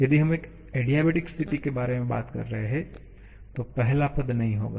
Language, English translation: Hindi, If we are talking about an adiabatic situation, the first term will not be there